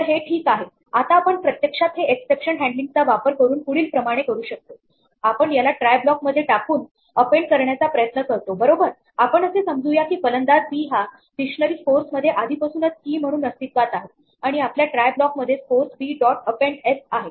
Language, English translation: Marathi, So, this is fine, now we can actually do this using exception handling as follows; we try to append it right we assume by default that the b batsman b already exists as a key in this dictionary scores and we try scores b dot append s